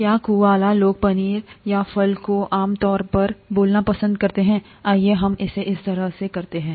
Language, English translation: Hindi, ‘Do Kualas Prefer Cheese Or Fruit Generally Speaking’, let us have it that way